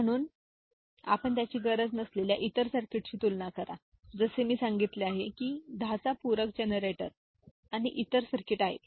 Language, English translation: Marathi, So, compare it with other circuit we do not need as I said 10s complement generator and other circuit